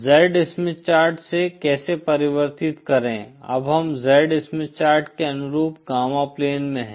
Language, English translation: Hindi, Equal how to convert from the Z Smith Chart to so now we are in the gamma plane corresponding to the Z Smith Chart